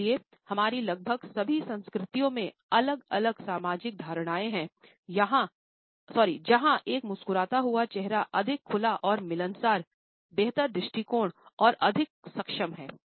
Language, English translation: Hindi, Therefore, we also have different social perceptions in almost all the cultures where a smiling face is considered to be more likeable open and friendly, better approachable and at the same time more competent